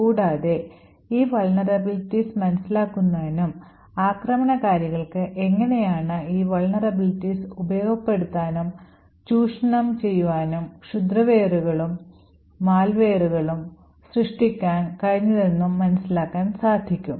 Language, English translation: Malayalam, Now in order to appreciate these vulnerabilities and how attackers have been able to utilise these vulnerabilities to create exploits and malware